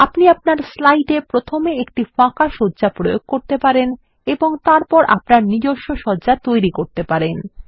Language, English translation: Bengali, You can apply a blank layout to your slide and then create your own layouts